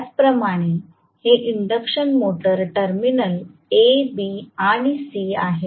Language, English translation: Marathi, Similarly, these are the induction motor terminals a, b and c, okay